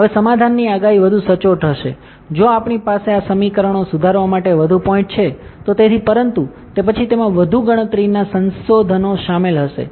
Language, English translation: Gujarati, Now, the prediction of the solution will be more accurate, if we have more points to solve for these equations correct; so, but then it will involve more computational resources